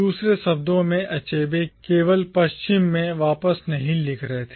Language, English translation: Hindi, In other words, Achebe was not merely writing back to the West